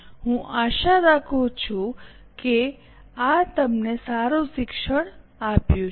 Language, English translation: Gujarati, I hope this would have been a good learning to you